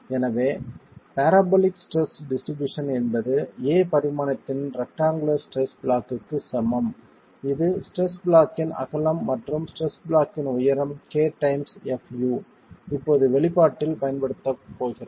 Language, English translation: Tamil, So the parabolic stress distribution equivalent to the equal in stress block, equivalent rectangular stress block of dimension A, which is the width of the stress block and K times FU as the height of the stress block is now going to be used in the expression